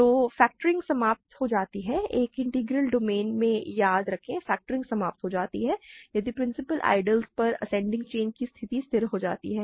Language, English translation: Hindi, So, factoring terminates; remember in an integral domain factoring terminates if the ascending chain condition on principal ideals stabilizes